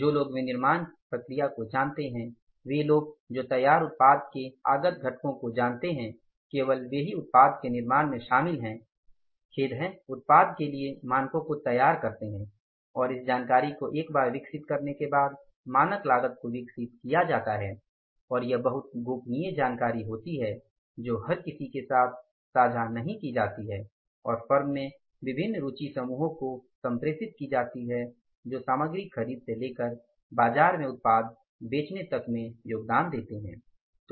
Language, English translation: Hindi, People who know the manufacturing process, people who know the input components of finish product, only those are involved in manufacturing the product or devising the standards for the product and this information once developed, the standard cost is developed, that is very confidential information also that is not shared with anybody and that remains communicated to the different interest groups in the firm who are going to contribute right from the purchase of the material department to the selling of the product in the market